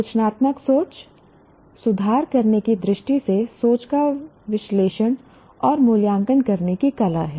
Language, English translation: Hindi, Critical thinking is art of analyzing and evaluating thinking with a view to improve it